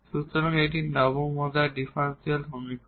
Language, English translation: Bengali, So, let this is the nth order differential equation